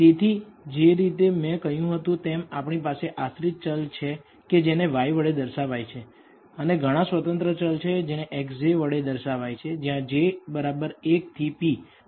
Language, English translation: Gujarati, So, as I said that we have a dependent variable which we denote by y and several independent variables which we denote by the symbols x j, where j equals 1 to p